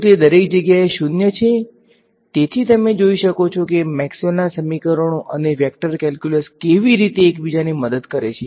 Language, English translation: Gujarati, Is 0 everywhere right, so, you can see how Maxwell’s equations and vector calculus the sort of going like a like dance all most helping each other along the way